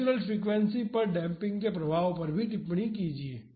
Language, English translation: Hindi, Comment on the effect of damping on natural frequency